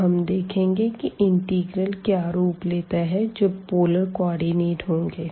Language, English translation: Hindi, So, now, how the integral will take the form when we have this polar coordinates